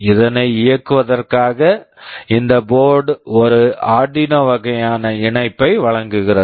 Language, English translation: Tamil, In order to enable that this board provides an Arduino kind of connector